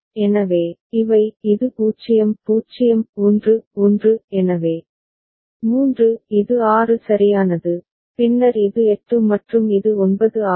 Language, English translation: Tamil, So, these are this is 0 0 1 1; so, 3; then this is 6 right and then, this is 8 and this is 9